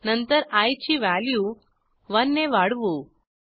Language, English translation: Marathi, After this, we increment the value of i by 1